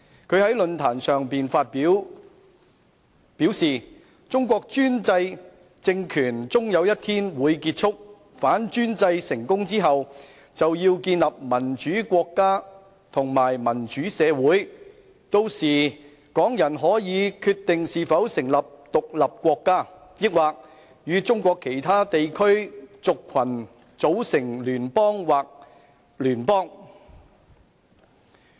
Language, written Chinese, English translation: Cantonese, 他在論壇上發言時表示，"中國專制政權終有一天會結束......反專制成功之後，就要建立民主國家和民主社會......那時候港人可以決定是否成立獨立國家，抑或與中國其他地區族群組成聯邦或邦聯"。, When speaking at the forum he said that the autocratic regime in China will eventually come to an end one day With the success in toppling the autocratic regime it is necessary to build a democratic state and a democratic society By then Hong Kong people can decide whether or not to found an independent state or form a federation or confederation with the ethnic groups in other regions of China